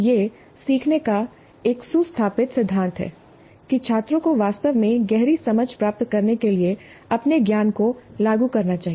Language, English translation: Hindi, So this is a well established principle of learning that the students must apply their knowledge in order to really get a deep understanding